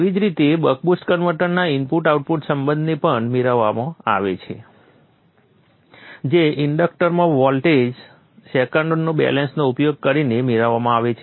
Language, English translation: Gujarati, The input output relationship of the buck boost converter is also obtained in the same manner using the old second balance across the inductor